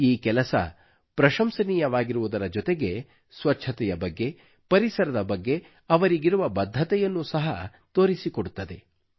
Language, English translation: Kannada, This deed is commendable indeed; it also displays their commitment towards cleanliness and the environment